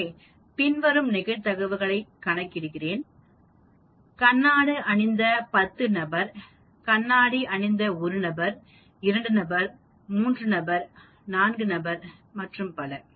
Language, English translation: Tamil, So I calculate the probabilities, as you can see here 0 person wearing glasses, 1 person wearing glasses, 2 person, 3 person and so on